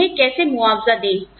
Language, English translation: Hindi, How do we compensate them